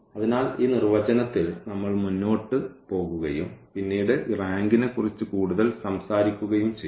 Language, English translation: Malayalam, So, with this definition, we go ahead and later on we will be talking more about this rank